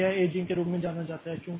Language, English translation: Hindi, So, that is the aging process